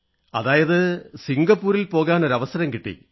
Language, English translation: Malayalam, How was your experience in Singapore